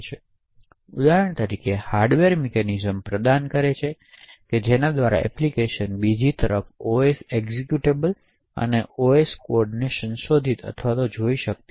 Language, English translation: Gujarati, So, for example the hardware provides mechanisms by which the applications cannot modify or view the OS executable and the OS code, on the other hand